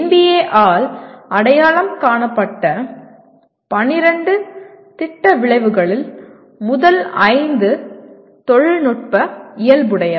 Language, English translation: Tamil, And out of the 12 Program Outcomes identified by NBA, the first 5 are dominantly technical in nature